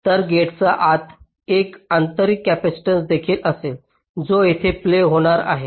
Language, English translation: Marathi, so inside the gate there will also be an intrinsic capacitance which will be coming into play here